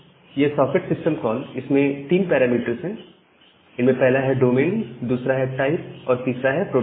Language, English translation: Hindi, So, this socket system call it takes these parameters, three parameters the domain, type and the protocol